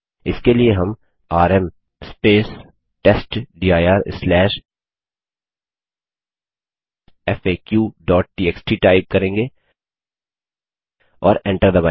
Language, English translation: Hindi, For this we type $ rm testdir/faq.txt and press enter